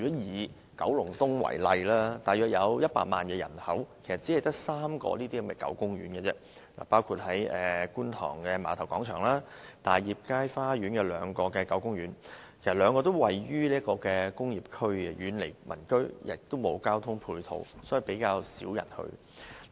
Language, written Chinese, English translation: Cantonese, 以九龍東為例，該區約有100萬人口，只有3個狗公園，包括觀塘的碼頭廣場，大業街花園有兩個狗公園，但該兩個公園位於工業區，遠離民居，沒有公共交通工具直達，比較少人前往。, Take Kowloon East for example . In that district there are about 1 million people but there are only three dog gardens including one in Kwun Tong Ferry Pier Square and two in Tai Yip Street Garden but these two gardens are situated in the industrial area far away from the residential areas and cannot be reached directly by public transport; hence not many people go there